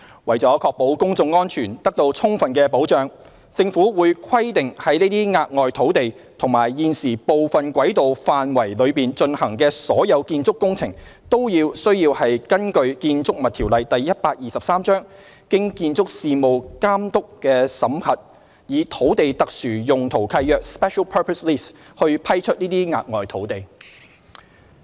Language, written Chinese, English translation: Cantonese, 為了確保公眾安全得到充分保障，政府會規定在這些額外土地及現時部分軌道範圍內進行的所有建築工程，均須根據《建築物條例》經建築事務監督妥為審核，因此以土地特殊用途契約來批出這些額外土地。, To ensure that public safety would be adequately safeguarded the Government will require that all building works to be conducted in these additional areas and part of the existing tramway area be subject to the scrutiny of the Building Authority BA under the Buildings Ordinance BO Cap . 123 and grant these additional pieces of land by a Special Purpose Lease SPL